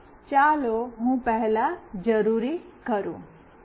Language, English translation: Gujarati, So, let me first do the needful